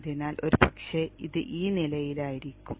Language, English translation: Malayalam, So the probably it will be at this level